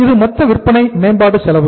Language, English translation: Tamil, This is the total sales promotion expense